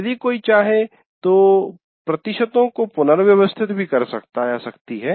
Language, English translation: Hindi, If one wants, you can also rearrange the percentages as you wish